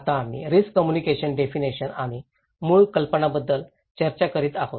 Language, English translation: Marathi, Now, we are discussing about the risk communication definitions and core ideas